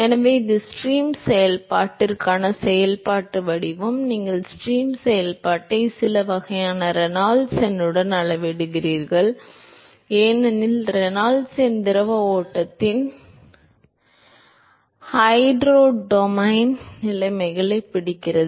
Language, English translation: Tamil, So, that is the functional form for stream function, you scale the stream function also with some form of Reynolds number because Reynolds number captures the hydrodynamic conditions of the fluid flow